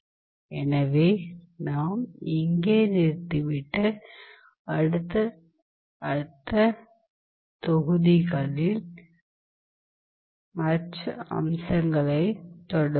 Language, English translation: Tamil, So, we will stop here and we will continue with other aspects in the subsequent modules